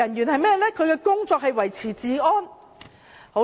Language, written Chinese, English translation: Cantonese, 他們的工作是維持治安。, They are responsible for maintaining law and order